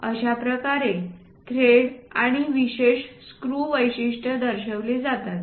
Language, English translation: Marathi, This is the way ah threads and special screw features we will show it